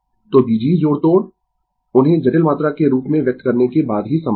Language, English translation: Hindi, So, algebraic manipulations are possible only after expressing them as complex quantities right